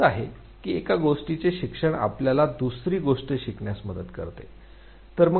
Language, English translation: Marathi, Is it that learning of one thing helps us to learn the other thing